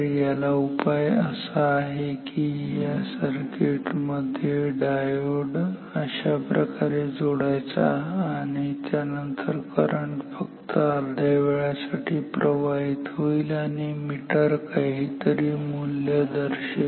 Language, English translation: Marathi, So, the solution is put R diode in this circuit just like the voltmeter circuit we used previously and then the current will flow for half of the time and the meter can indicate some non zero value